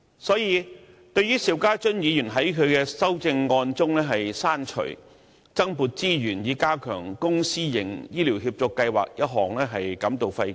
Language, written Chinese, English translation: Cantonese, 所以，對於邵家臻議員在其修正案中刪除"增撥資源以加強公私營醫療協作計劃"一項，我們感到費解。, Therefore we are puzzled by the deletion of allocating additional resources to enhance the public - private partnership programme in healthcare in the amendment proposed by Mr SHIU Ka - chun